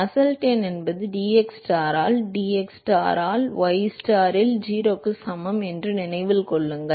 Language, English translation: Tamil, Remember that Nusselt number is nothing but dTstar by dxstar at ystar equal to 0